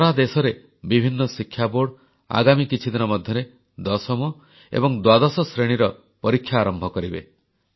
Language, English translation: Odia, In the next few weeks various education boards across the country will initiate the process for the board examinations of the tenth and twelfth standards